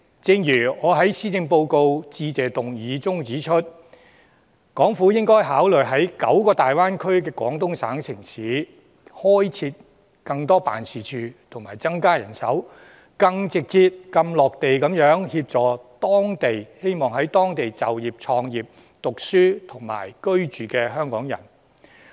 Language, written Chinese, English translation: Cantonese, 正如我在施政報告致謝議案中指出，港府應該考慮在大灣區內廣東省的9個城市裏開設更多辦事處，增加人手，更直接、更"落地"地協助希望在當地就業、創業、讀書和居住的香港人。, As I have pointed out in the Motion of thanks for the Policy Address that the Hong Kong Government should consider opening more offices in the nine Guangdong cities within the Greater Bay Area . More manpower should be deployed in these offices in order to provide Hong Kong people intending to start business study and live there with support and assistance that are even more direct and feet - on - the - ground